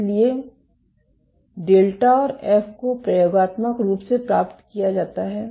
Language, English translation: Hindi, So, delta and F are experimentally obtained